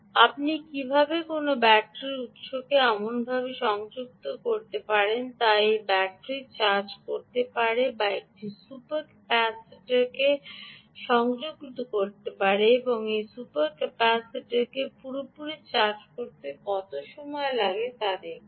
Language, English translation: Bengali, look at how you can connect a battery source right to such such that it can charge this battery, or connect a super capacitor and see how much time it takes to fully charge this super capacitor